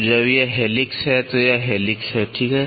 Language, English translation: Hindi, So, when it is helix this is helix, right